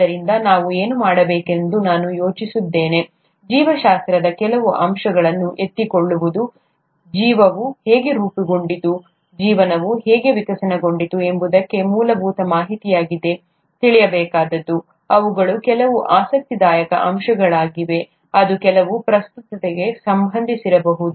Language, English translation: Kannada, What we thought we would do, is pick up some aspects of biology, that, one would need to know as basic information, as to how life evolved, how life formed, how life evolved, they are very interesting aspects which could have a relevance to some of the things that we’re dealing with nowadays